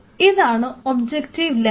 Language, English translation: Malayalam, So, this is the objective lens